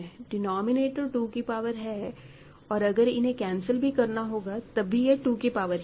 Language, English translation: Hindi, The denominator is a power of 2 and even if you have to cancel, what remains will be a power of 2